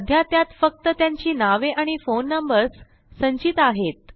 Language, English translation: Marathi, It currently stores their names and phone numbers only